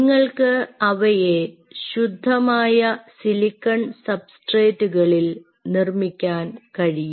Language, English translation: Malayalam, you can make them on pure silicon substrates